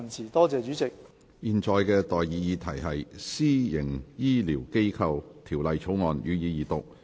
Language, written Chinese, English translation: Cantonese, 我現在向各位提出的待議議題是：《私營醫療機構條例草案》，予以二讀。, I now propose the question to you and that is That the Private Healthcare Facilities Bill be read the Second time